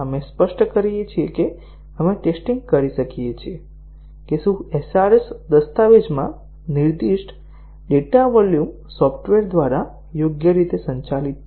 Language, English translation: Gujarati, We specify that; we test whether the data volumes as specified in the SRS document are they handled properly by the software